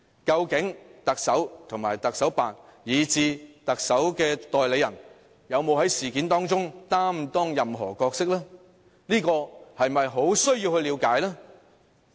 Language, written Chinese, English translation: Cantonese, 究竟特首及特首辦以至特首的代理人，有沒有在事件中擔當任何角色，這不是很需要了解嗎？, Do you agree that we need to find out if the Chief Executive the Office of the Chief Executive or any agent acting on behalf of the Chief Executive has played any role in the incident?